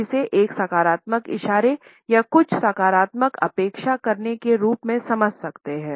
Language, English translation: Hindi, Normally we can understand it as a positive gesture, a gesture of expecting something positively